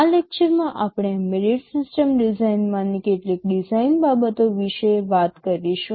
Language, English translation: Gujarati, In this lecture we shall be talking about some of the design considerations in embedded system design